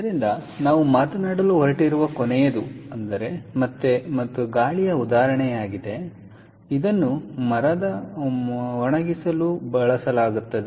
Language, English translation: Kannada, so the last one that we are going to talk about is again, and is is: ah is an example of air, air, and this is used for drying of timber